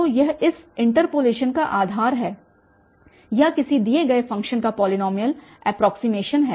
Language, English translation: Hindi, So, that the base of this interpolation or having a polynomial approximation of a given function